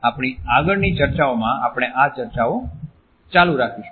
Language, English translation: Gujarati, In our further discussions we would continue with these discussions